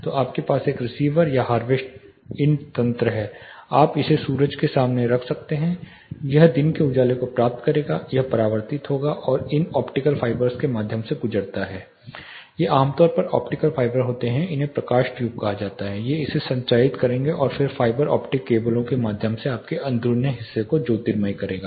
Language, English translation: Hindi, So, you have a you know receiver or a harvesting mechanism you can have it you know facing the sun this will be receiving the daylight, it will be reflected and pass through these optical fibers these are typically optical fibers called light tubes these will transmit this and then through the fiber optic cables it will be letting your interiors